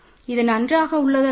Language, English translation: Tamil, So, this is nice right